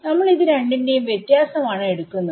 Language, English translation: Malayalam, So, we are taking the difference between this guy and this guy